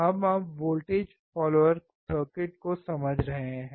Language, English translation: Hindi, So, we are now understanding the voltage follower circuit